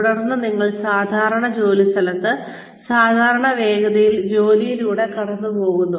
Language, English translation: Malayalam, Then, you go through the job, at normal workplace, at a normal speed